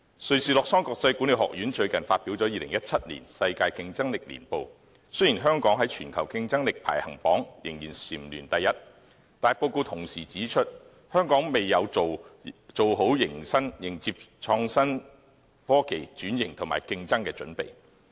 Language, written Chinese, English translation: Cantonese, 瑞士洛桑國際管理發展學院最近發表了《2017年世界競爭力年報》，雖然香港在全球競爭力排行榜仍蟬聯第一位，但報告同時指出，香港未有做好迎接創新科技轉型和競爭的準備。, Although Hong Kong was again ranked the most competitive economy in the World Competitiveness Yearbook 2017 published by the International Institute for Management Development the report also pointed out that Hong Kong is not yet prepared for innovation and technology transformation and competition